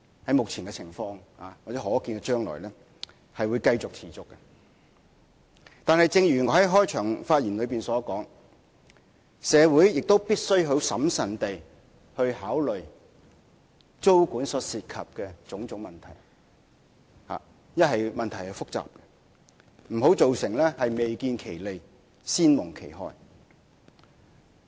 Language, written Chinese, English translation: Cantonese, 但是，正如我在開場發言所說，由於問題複雜，故此社會必須審慎考慮租管所涉及的種種問題，不要造成未見其利、先蒙其害。, However as I said in my opening speech owing to the complexity of the issue the public must thoroughly consider the series of problems arising from tenancy control lest before any benefits can be gained the harm is done